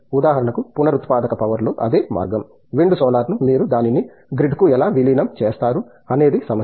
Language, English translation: Telugu, Same way in renewable power for example, wind solar how you integrate it to the grid, those are issues